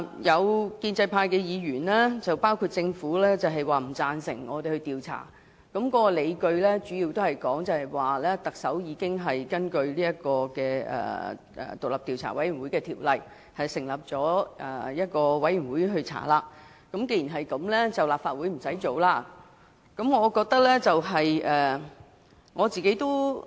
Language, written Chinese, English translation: Cantonese, 有建制派議員甚至政府都不贊成立法會展開調查，主要的理據是特首已根據《調查委員會條例》成立獨立調查委員會展開調查，所以立法會無須另行再作調查。, Some Members of the pro - establishment camp and even the Government opposed the proposed investigation by the Legislative Council for the major reason that the Chief Executive has already set up an independent Commission of Inquiry under the Commissions of Inquiry Ordinance to commence an investigation . Hence the Legislative Council needs not conduct another investigation